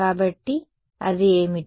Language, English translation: Telugu, So, that should be